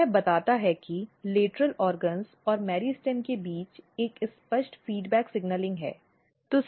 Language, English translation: Hindi, So, this tells that there is a clear feedback signaling between lateral organs as well as the meristem